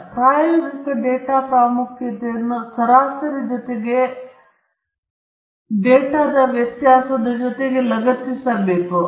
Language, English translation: Kannada, So in addition to averaging the experimental data importance must be also attached to the variability in the data